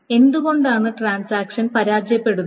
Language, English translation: Malayalam, So, why would transactions fail